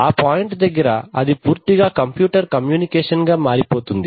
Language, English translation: Telugu, That, so at that point it becomes pure computer communication